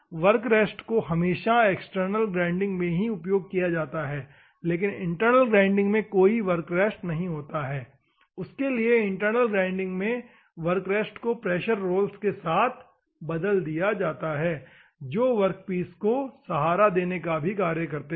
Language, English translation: Hindi, Work rest always be supported in an external one for that purpose here there is no work rest, for that purpose work rest is replaced in an internal centreless grinding wheel by pressure rolls as well as support rolls